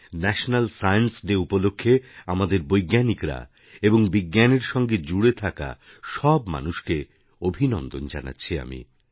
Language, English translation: Bengali, I congratulate our scientists, and all those connected with Science on the occasion of National Science Day